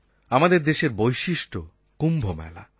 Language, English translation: Bengali, There is one great speciality of our country the Kumbh Mela